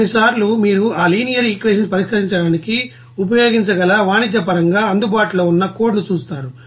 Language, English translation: Telugu, Sometimes you will see that code whatever is available commercially that you can use for solving that linear nonlinear equation